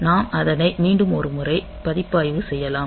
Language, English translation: Tamil, So, you can we can just review it once more